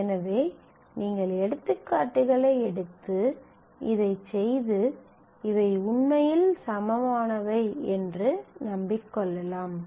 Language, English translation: Tamil, So, you could take examples and work this out and convince yourself that these are really equivalent